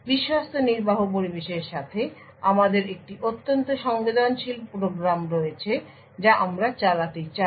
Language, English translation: Bengali, With Trusted Execution Environment we have a very sensitive program that we want to run